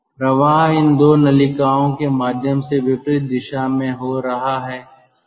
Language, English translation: Hindi, the flow is taking place in the opposite direction through these two ducts